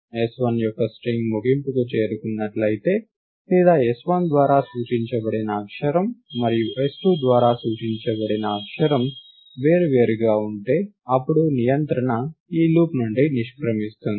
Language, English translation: Telugu, If the end of string of s1 is reached or if the character pointed to by s1 and the character pointed to by s2 are different, then control will exit from this loop